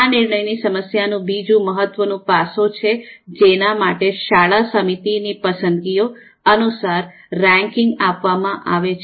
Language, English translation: Gujarati, Now another important aspect of this decision problem is that the ranking has to be done according to the preferences of the school committee